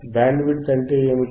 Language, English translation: Telugu, What is Bandwidth